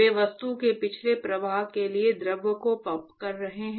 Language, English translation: Hindi, They are actually pumping the fluid to flow past the object